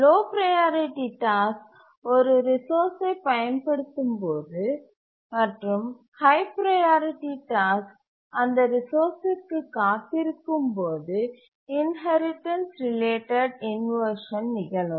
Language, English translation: Tamil, The inheritance related inversion occurs when a low priority task is using a resource and a high priority task waits for that resource